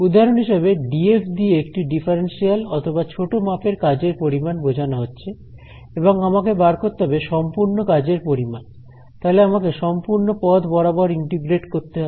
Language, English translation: Bengali, So, for example, this “df” could represent a differential or a small amount of work done and I want to find out the total work done so, I have to integrate along the path